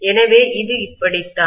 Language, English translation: Tamil, So this is how it is